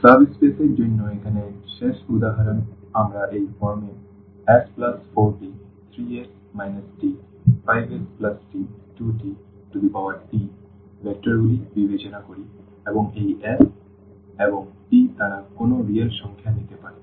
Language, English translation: Bengali, The last example here for the subspace we consider the vectors of this form s plus 4t, 3s minus t and 5s plus t 2t this type of vectors and this s and t they can take any real number